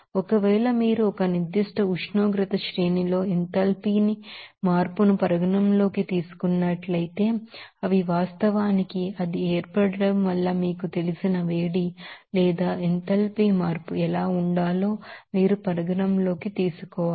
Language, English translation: Telugu, And also suppose, if you are considering the enthalpy change at a particular temperature range, they are of course, you have to consider what should be the heat you know or enthalpy change because of its formation